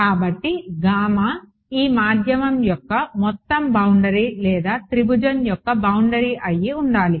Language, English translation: Telugu, So, should gamma be the overall boundary of this medium or the boundary of the triangle